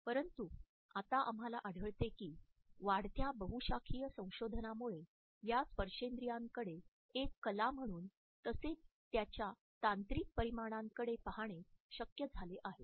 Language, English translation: Marathi, But now we find that the increasingly multidisciplinary research has made it possible to look at this particular art of touching in its technological dimensions